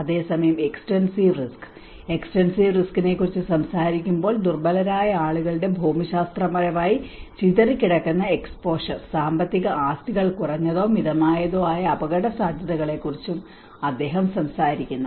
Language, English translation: Malayalam, Whereas the extensive risk, when he talks about the extensive risk, he talks about the geographically dispersed exposure of vulnerable people and economic assets to low or moderate intensity hazard